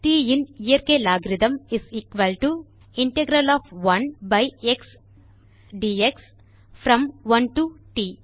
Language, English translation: Tamil, The natural logarithm of t is equal to the integral of 1 by x dx from 1 to t